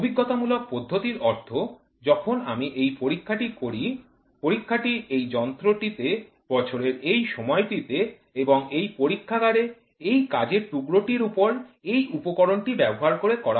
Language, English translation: Bengali, Empirical method means, when I do the experiment, when the experiment is conducted on this machine during this time of the year and in this lab using this work piece and this tools